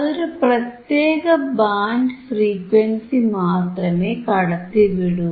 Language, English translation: Malayalam, So, iIt will only pass certain band of frequency